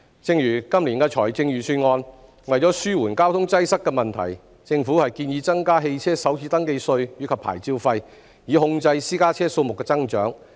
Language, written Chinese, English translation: Cantonese, 正如今年的財政預算案，為紓緩交通擠塞的問題，政府建議增加汽車首次登記稅及牌照費，以控制私家車數目的增長。, As in this years Budget to ameliorate the road congestion problem the Government has proposed to increase the first registration tax and license fees for motor vehicles with a view to curbing the growth of private cars